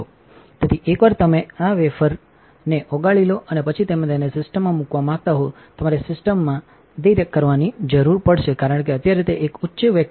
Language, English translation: Gujarati, So, once you have melted your wafer and you want to put it in the system, you would need to invert the system because right now it is a high vacuum